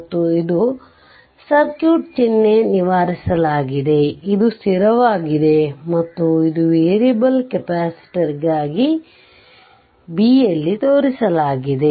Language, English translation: Kannada, And this is circuit symbol fixed, this is for fixed and this is for figure b for variable capacitor right